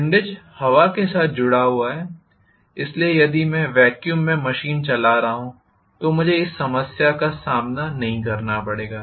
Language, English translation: Hindi, Windage is associated with wind, so if I am running the machine in vacuum I will not face this problem